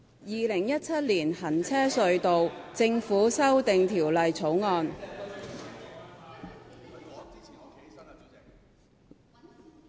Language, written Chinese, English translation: Cantonese, 《2017年行車隧道條例草案》。, Road Tunnels Government Amendment Bill 2017